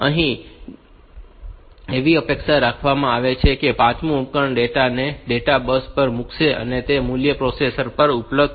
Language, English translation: Gujarati, It is expected that this fifth device will put the data onto the data bus and that value will be available on to the processor